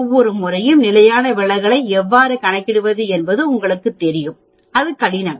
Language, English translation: Tamil, You know how to calculate standard deviation that is not very difficult